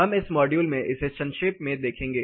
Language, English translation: Hindi, We were going to look at this precisely in this module